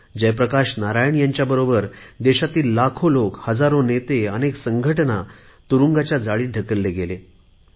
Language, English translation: Marathi, Lakhs of people along with Jai Prakash Narain, thousands of leaders, many organisations were put behind bars